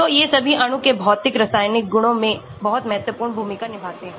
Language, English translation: Hindi, so all these play very important role in the physicochemical properties of the molecule